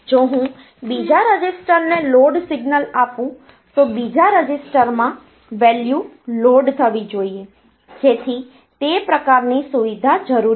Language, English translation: Gujarati, If I give load signal to the second register then the value should be loaded in the second register, so that sort of facility is needed